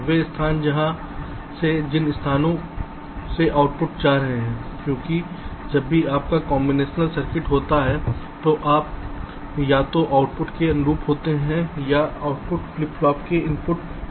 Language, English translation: Hindi, the places from where a, the places into which the outputs are going, because whenever your combination circuit, so you either correspond to an output or that output can go to an input of a flip flop